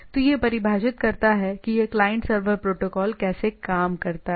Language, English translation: Hindi, So, that is in some sense defines that how this client server protocol works